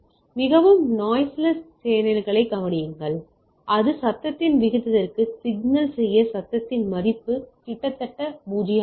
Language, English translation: Tamil, Like consider an extremely noisy channel in which the value of the noise to signal to noise ratio is almost 0 right